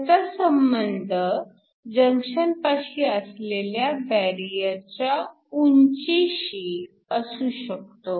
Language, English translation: Marathi, So, This could correspond to a barrier height across the junction